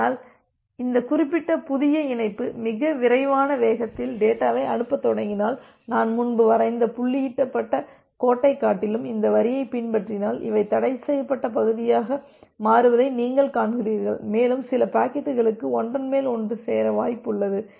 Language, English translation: Tamil, But if this particular new connection starts sending data at a very fast rate, so if it follows this line rather than the dotted line that I have drawn earlier, then you see that these becomes the forbidden region and here for some packets you have a overlap